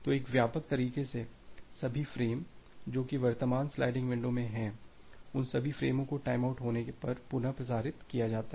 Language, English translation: Hindi, So, in a broad way that all the frames, which are there in the current sliding window all those frames are retransmitted if there is a timeout